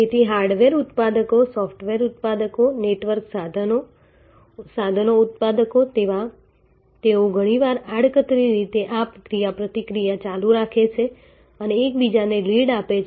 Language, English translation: Gujarati, So, hardware manufacturers, software manufacturers, network equipment manufacturers they often indirectly keep this interactions going and give each other leads